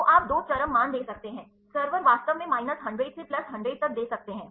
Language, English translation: Hindi, So, you can give two extreme values server actually can give minus 100 to plus 100 ok